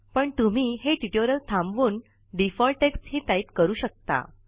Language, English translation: Marathi, However, you can pause this tutorial, and type the default text